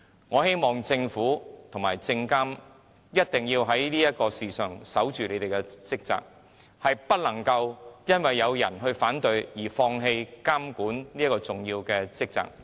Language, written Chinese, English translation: Cantonese, 我希望政府和證監會一定要在這件事上謹守崗位，不能因有人反對便放棄如此重要的監管職責。, I hope the Government and SFC can perform their duties faithfully on this issue rather than relinquishing this very important regulatory function merely due to the opposition of some